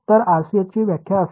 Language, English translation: Marathi, So, my definition of RCS will be